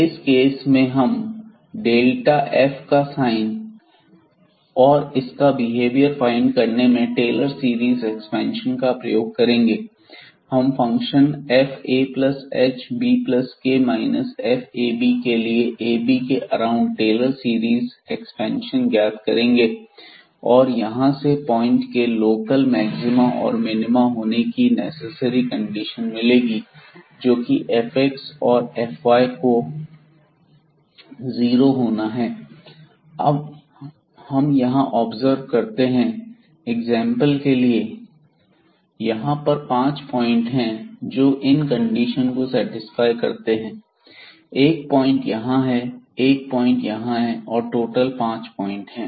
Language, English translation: Hindi, So, in that case we try to get the behavior of this delta f or rather the sign of this delta f by using the Taylor series expansion of this function fa plus h and b plus k around this ab point and from where we got the necessary conditions that to have that this point ab is a point of local maxima or minima, fx at this point ab has to be 0 and fy has to be 0